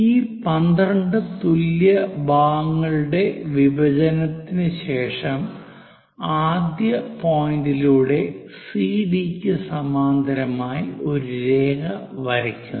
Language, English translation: Malayalam, After division of these 12 equal parts, what we will do is, through 1, through the first point draw a line parallel to CD